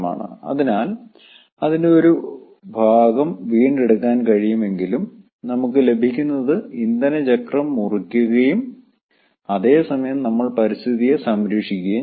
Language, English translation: Malayalam, so even if some portion of it can be recovered, then what we are getting we are cutting the fuel wheel and at the same time we are protecting the environment